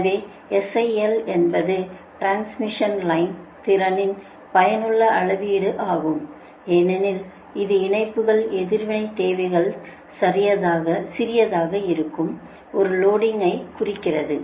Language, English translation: Tamil, i l is useful measure of transmission line capacity as it indicates a loading where the lines reactive requirements are small right